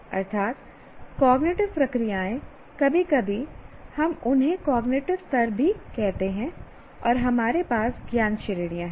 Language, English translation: Hindi, Sometimes we call them as cognitive levels as well and we have knowledge categories